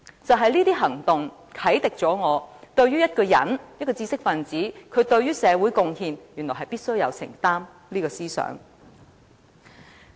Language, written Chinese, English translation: Cantonese, 就是這些行動，啟迪了我對一個人、一個知識分子必須對社會的貢獻有所承擔這個思想。, These events have enlightened me and I understand that as a man and an intellectual one must commit to making contribution to society